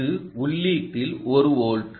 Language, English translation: Tamil, this is input of one volt